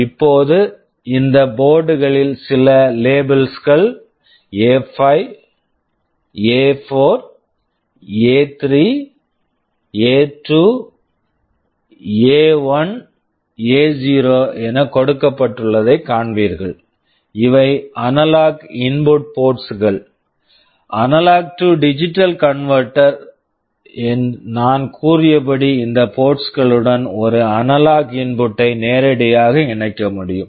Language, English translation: Tamil, Now, in this board you will see that some labels are given A5, A4, A3, A2, A1, A0 these are the analog input ports; the A/D converter I told you you can connect an analog input directly to these ports